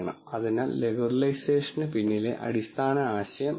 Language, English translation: Malayalam, So, that is the basic idea behind regularization